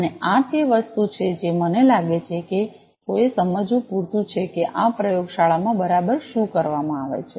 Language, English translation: Gujarati, And this is a thing I feel it is enough for someone to understand that what exactly is done in this laboratory